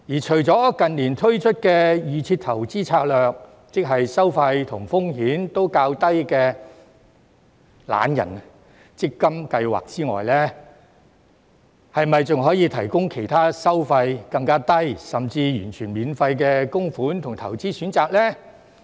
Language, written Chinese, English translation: Cantonese, 除了近年推出的預設投資策略，即收費及風險都較低的"懶人強積金計劃"之外，是否還可以提供其他收費更低，甚至完全免費的供款及投資選擇呢？, Apart from the Default Investment Strategy―ie . the lazybones MPF scheme with relatively low fees and risks―launched in recent years is it possible to provide other contribution and investment choices that charge even lower fees or better still no fees at all?